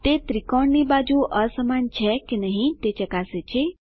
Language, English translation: Gujarati, It checks whether sides of triangle are unequal